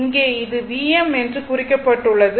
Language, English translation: Tamil, Here it is marked and it is a V m